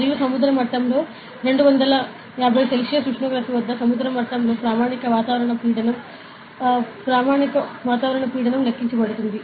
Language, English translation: Telugu, And at sea level it is been calculated that the standard atmospheric pressure at sea level at a temperature of 25 degree Celsius